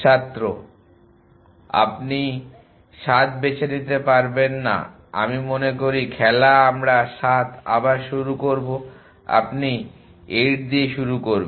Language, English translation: Bengali, You cannot choose 7 I would suppose game we cannot 7 will start again you start 4